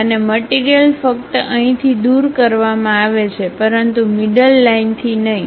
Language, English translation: Gujarati, And material is only removed from here, but not from center line